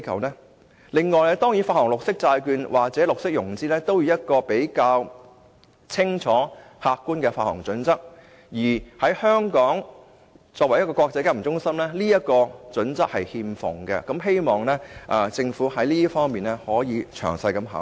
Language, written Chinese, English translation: Cantonese, 此外，發行綠色債券或綠色融資亦需要一個比較清楚、客觀的發行準則，而香港作為一個國際金融中心，此項準則卻欠奉，希望政府可在這方面作出詳細的考慮。, Moreover the issuance of green bonds and green financing must both follow a set of clear and objective standards but such standards are not found in Hong Kong as an international financial centre . I hope the Government can thoroughly consider this point